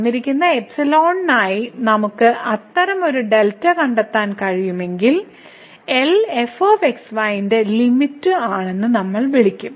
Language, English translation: Malayalam, So, if for a given epsilon, we can find such a delta, then we will call that the cell is the limit of